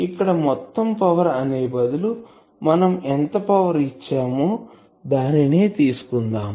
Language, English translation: Telugu, Here instead of total power whatever power has been given